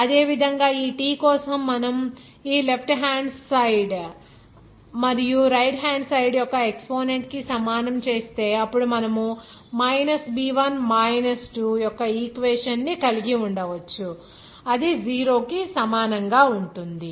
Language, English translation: Telugu, Similarly for that T if you equalize that the exponent of this left hand side and right hand side then you can have this equation of b1 2 that will be equal to 0